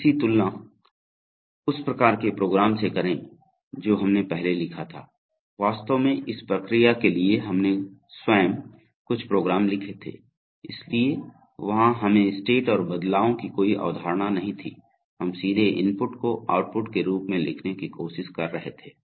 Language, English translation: Hindi, Compare this with the kind of programs that we had written earlier, in fact or for this process itself we had written some program, so there we did not have any concept of states and transitions, we were directly trying to write outputs in the form of inputs